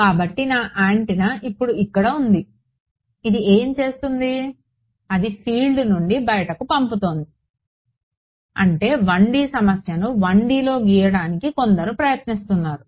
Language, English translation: Telugu, So, I have my antenna over here now what it is doing it is sending out of field like this let us say 1D problem some trying to draw it in 1D